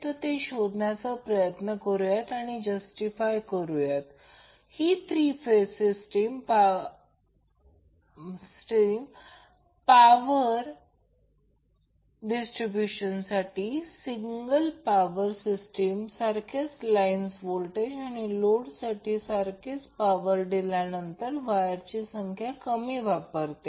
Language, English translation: Marathi, Let us try to find out and justify that the three phase system for power distribution will use less amount of wire when we compare with single phase system which is having the same line voltage and the same power being fed to the load